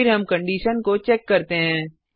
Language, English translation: Hindi, Then we check the condition